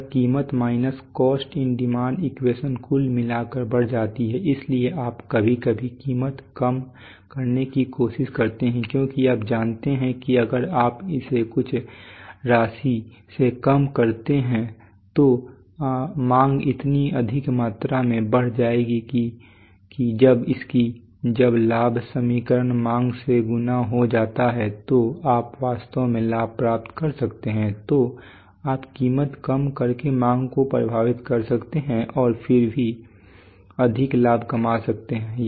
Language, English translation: Hindi, So much that that this price minus cost into demand equation overall increases so that is why you sometimes try to reduce price because you know that if you reduce it by a by some amount then that then demand will increase by so much amount that that when its, when the profit equation gets multiplied by demand then you can really gain